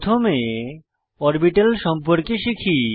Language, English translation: Bengali, Let us first learn about orbitals